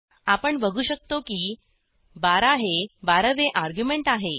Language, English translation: Marathi, $12 represents the twelveth argument